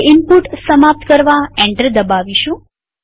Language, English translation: Gujarati, Now press Enter key to indicate the end of input